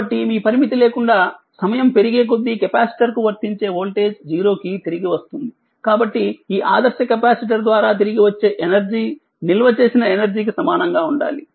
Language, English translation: Telugu, So, the voltage applied to the capacitor returns to 0 as time increases without your limit, so the energy returned by this ideal capacitor must equal the energy stored right